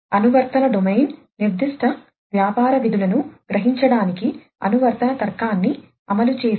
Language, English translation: Telugu, The application domain represents the set of functions which implement the application logic to realize the specific business functions